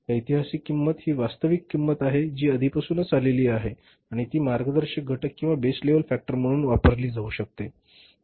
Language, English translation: Marathi, Historical cost is the one is the actual cost which has already happened and it can be used as the guiding factor or the base level factor